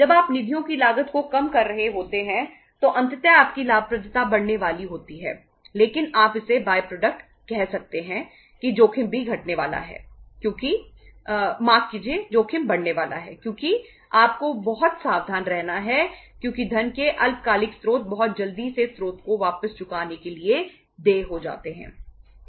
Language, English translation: Hindi, When you are reducing the cost of the funds ultimately your profitability is going to increase but the say you can call it as by product of that is that the risk is also going to decrease because sorry risk is going to increase because you have to be very very careful because short term sources of the funds become due to be repaid back to the source very quickly